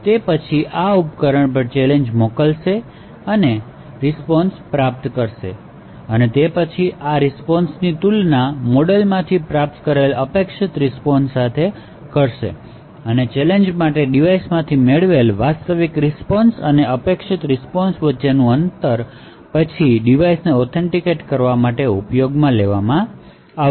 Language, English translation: Gujarati, It would then send out the challenge to this device and obtain the response; it would then compare this response to what is the expected response obtained from the model, close match between the expected response and the actual response obtained from the device for that particular challenge would then be used to authenticate the device